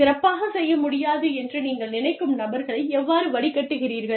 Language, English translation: Tamil, How do you, filter out people, who you do not think, will be able to perform, that well